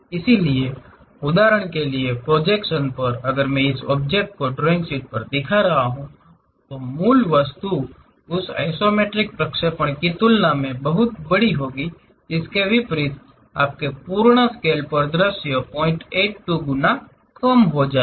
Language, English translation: Hindi, So, for example, on the projection if I am seeing on the drawing sheet of this object; the original object will be much bigger than that isometric projection, vice versa your full scale view will be reduced to 0